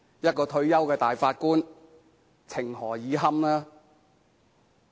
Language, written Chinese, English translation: Cantonese, 一位退休大法官，情何以堪？, As a retired judge how can he endure such kind of treatment?